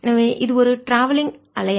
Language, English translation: Tamil, so this is not a travelling wave